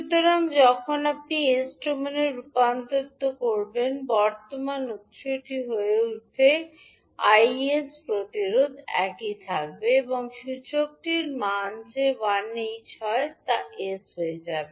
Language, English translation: Bengali, So when you convert into s domain the current source will become Is resistance will remain same and the value of inductor that is one will become s